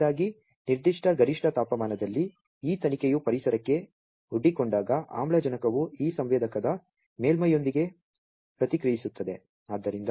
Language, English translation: Kannada, First of all, when at a particular optimum temperature this probe is exposed to the environment the oxygen reacts with the surface of this sensor